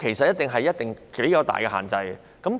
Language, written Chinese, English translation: Cantonese, 一定繼續實施頗大的限制。, Extensive restrictions will certainly continue